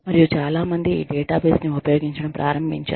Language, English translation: Telugu, And, many people, start using this database